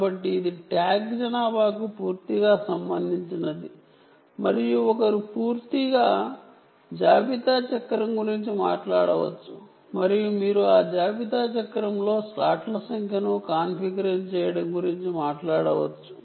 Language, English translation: Telugu, so this is completely related to tag population and one can be talking about a complete inventory cycle and you can be talking about configuring the number of slots in that inventory cycle and so on